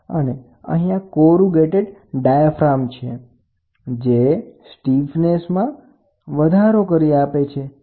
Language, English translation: Gujarati, And here is a corrugated diaphragm so, that it adds more stiffness, right